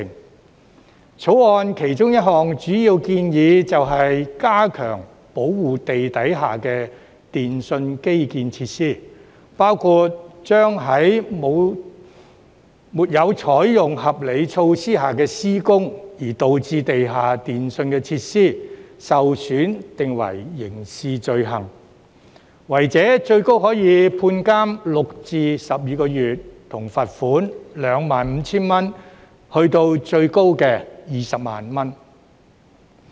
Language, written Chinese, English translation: Cantonese, 《條例草案》其中一項主要建議，便是加強保護地底下的電訊基建設施，包括將在沒有採取合理措施下施工而導致地下電訊設施受損定為刑事罪行，違者最高可判監6至12個月，以及罰款 25,000 元至最高的 200,000 元。, One of the major proposals in the Bill is to strengthen the protection of underground telecommunications infrastructure facilities including creating a criminal offence against any person who fails to take reasonable steps to prevent damage to underground telecommunications facilities when carrying out any work and the offender may be liable to imprisonment for up to six to 12 months and a fine of 25,000 to a maximum of 200,000